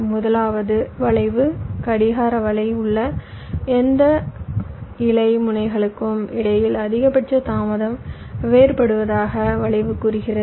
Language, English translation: Tamil, skew says maximum delay different between any leaf nodes on the clock network